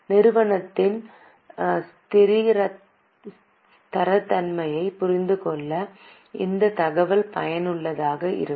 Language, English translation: Tamil, This information is useful to understand the stability of the company